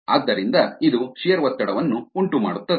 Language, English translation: Kannada, therefore it can cause shear stress